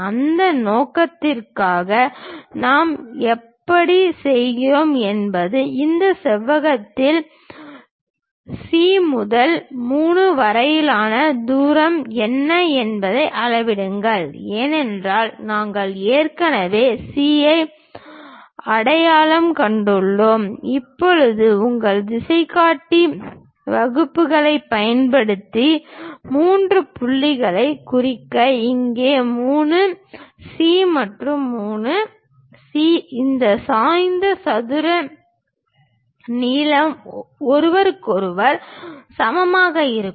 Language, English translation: Tamil, For that purpose the way how we do is, measure what is the distance of C to 3 on this rectangle because we have already identified C, now use your compass dividers to mark three points where 3C here and 3C there are equal to each other on this rhombus